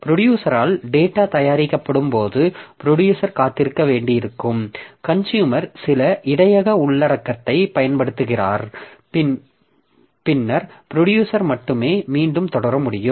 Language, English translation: Tamil, So, in that case, when the data is produced by the producer, after some time producer has to be made to wait so that the consumer consumes some of the buffer content and then only the producer will be able to proceed again